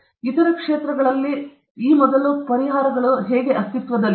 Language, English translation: Kannada, What prior solutions exist in other fields